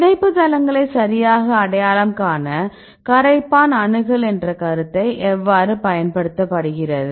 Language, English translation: Tamil, So, how to use the concept of solvent accessibility to identify the binding sites right